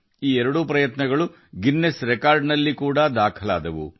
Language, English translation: Kannada, Both these efforts have also been recorded in the Guinness Records